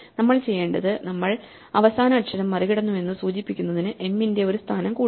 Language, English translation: Malayalam, So, what we will do is, we will add a position of m to indicate that we have crossed the last letter